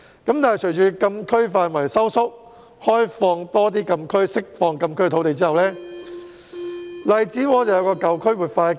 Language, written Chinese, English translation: Cantonese, 但是，隨着禁區範圍縮小，在政府開放更多禁區和釋放禁區土地之後，荔枝窩出現了活化的機遇。, However after the Government reduced the size of closed areas opened up more closed areas and released the land in closed areas there have been opportunities for revitalizing Lai Chi Wo